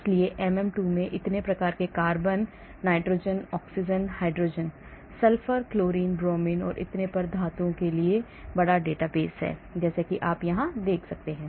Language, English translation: Hindi, so MM2 has large database for so many types of carbon, nitrogen, oxygen, hydrogen, sulfur, chlorine, bromine and so on including even metals as you can see here